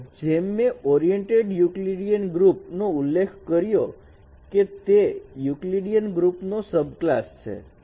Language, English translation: Gujarati, So as I mentioned as that oriented Euclidean group is a subclass of Euclidean group